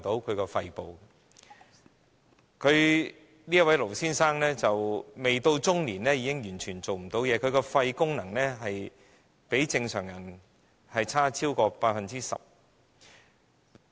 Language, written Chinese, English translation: Cantonese, 這位盧先生未屆中年已完全喪失工作能力，其肺功能比正常人差超過 10%。, This Mr LO suffered from total loss of working capacity before he entered his middle age and his lung function is 10 % worse than a normal person